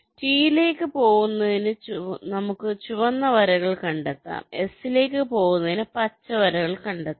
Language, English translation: Malayalam, we can trace the red lines to go up to t, we can trace the green lines to go up to s